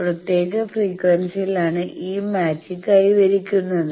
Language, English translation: Malayalam, So, it is at a particular frequency this match is achieved